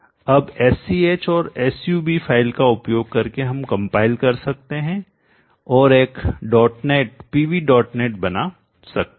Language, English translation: Hindi, Now using the SCH and SUB file we can now compile and create a dot net PV dot net